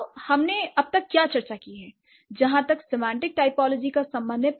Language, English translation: Hindi, So, what we have discussed so far as for as semantic typology is concerned